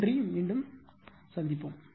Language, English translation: Tamil, Thank you very much will back again